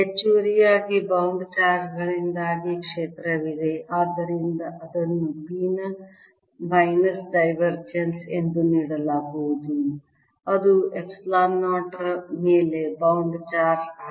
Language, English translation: Kannada, additionally, there is field due to the bound charges, so that's going to be given as minus divergence of p, that is, a bound charge over epsilon zero